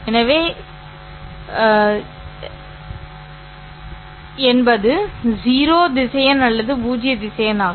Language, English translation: Tamil, So that's the zero vector or the null vector